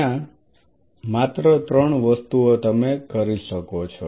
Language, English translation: Gujarati, There only three things you can do